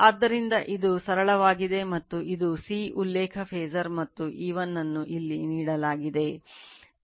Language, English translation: Kannada, So, this is simply and this is the ∅ the reference phasor right and E1 is given here